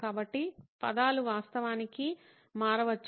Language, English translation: Telugu, So the wording can actually change